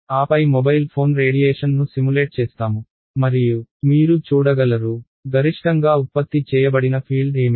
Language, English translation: Telugu, And then simulate a mobile phone radiation and then you can see: what is the maximum field generated can